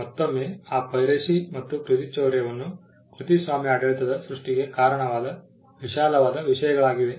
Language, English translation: Kannada, Again, you will find that piracy and plagiarism as the broad themes that led to the creation of the copyright regime